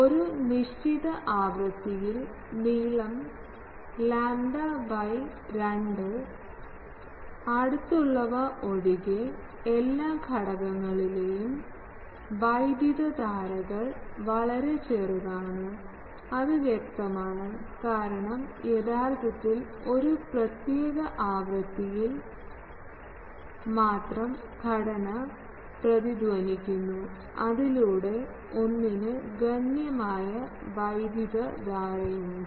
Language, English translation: Malayalam, It has also been found that at a given frequency the currents in all elements, except those that are close to lambda by two long are very small that is obvious, because actually what is happening at a particular frequency only one structure is resonating, so that one is having sizable current